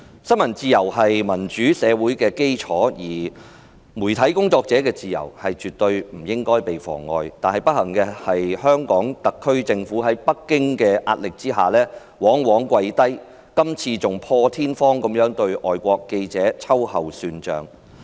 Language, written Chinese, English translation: Cantonese, 新聞自由是民主社會的基礎，媒體工作者的自由絕對不該被妨礙，但不幸的是，香港特區政府在北京的壓力之下，往往下跪，今次更破天荒地對外國記者秋後算帳。, Freedom of the press is the foundation of a democratic society . The freedom of media workers should not be infringed on in any way . But unfortunately the SAR Government always succumbs to pressure from Beijing and this time it even unprecedentedly settled a score with a foreign journalist